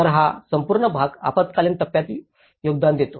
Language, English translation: Marathi, So this is the whole part contributes to emergency phase